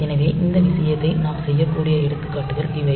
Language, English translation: Tamil, So, these are examples by which we can do this thing